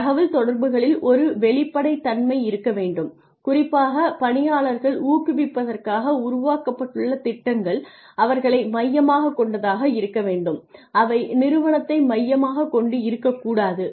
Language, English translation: Tamil, There needs to be a transparency in communication and the plans that are made for especially for incentivizing employees need to be employee centric not organization centric